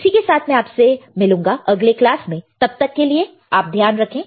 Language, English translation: Hindi, With that I will see you in the next class till then you take care, bye